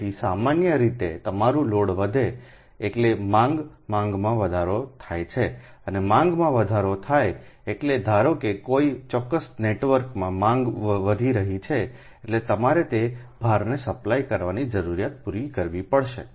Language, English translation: Gujarati, so if load inc load increases, so general, your load increases means demand is increasing, right, and demand increases means, suppose in a particular network load demand is increasing means that you need to supply the need to supply that load